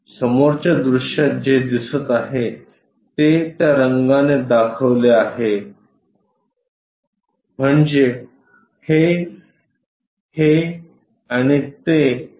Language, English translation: Marathi, The thing what is visible in the front view shown by that color that is this this this and that